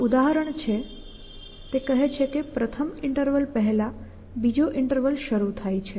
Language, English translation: Gujarati, So, this is for example, saying that a second interval begins before the first interval